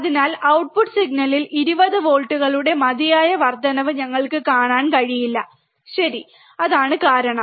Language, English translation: Malayalam, So, we cannot see enough amplification of 20 volts at the output signal, alright so, that is the reason